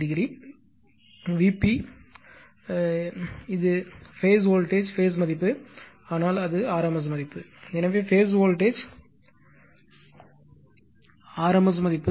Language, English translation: Tamil, And V p I have told you, it is phase voltage phase value, but it is rms value right, so phase voltage rms value right